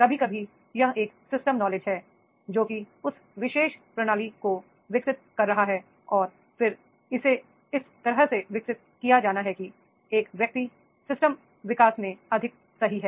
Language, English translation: Hindi, Sometimes it is the system knowledge that is the developing that particular system and then it has to be developed in such a way that is a person is more perfect in system development